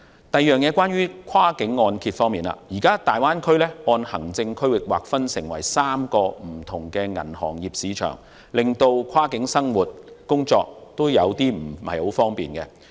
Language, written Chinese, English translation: Cantonese, 第二，在跨境按揭方面，大灣區現時按行政區域劃分為3個不同的銀行業市場，令跨境生活和工作頗為不便。, Second we come to cross - border mortgage . We find that cross - border living and working is quite inconvenient as the Greater Bay Area is currently divided into three different banking markets as per administrative region